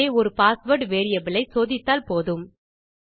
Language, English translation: Tamil, So we only need to check this on one of the password variables